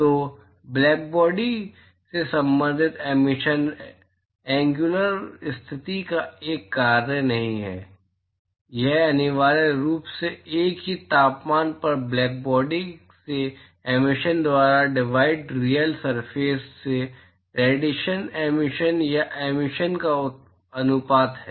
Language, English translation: Hindi, So, the corresponding emission from black body which is not a function of the angular position so, this is essentially ratio of radiation emission or emission from real surface divided by emission from blackbody at same temperature